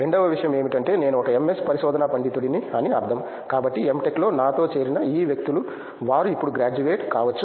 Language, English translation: Telugu, Second thing is like I mean like I am an MS research scholar so this people who have joined with me for M Tech, they might be graduated by now